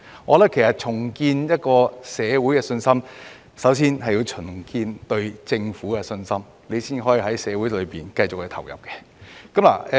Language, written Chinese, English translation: Cantonese, 我認為要重建社會信心，首先要重建社會對政府的信心，這樣才可繼續在社會投入。, In my view if we are to rebuild public confidence we have to first rebuild the publics confidence in the Government and then they will continue to participate in society